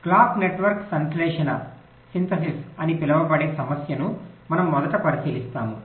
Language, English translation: Telugu, today we shall be considering first the problem of the so called clock network synthesis